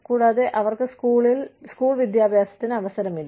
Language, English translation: Malayalam, And, they have no chance of school education